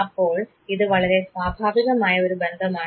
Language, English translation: Malayalam, Now this is a natural occurring relationship